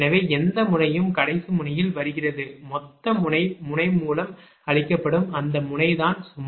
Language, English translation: Tamil, so any node is coming at the last node, total node fed to the node is the load of that node itself